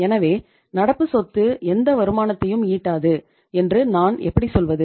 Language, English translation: Tamil, So how do I say that current asset do not generate any returns